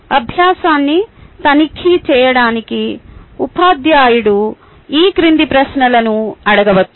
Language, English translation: Telugu, to check the learning, the teacher may ask the following questions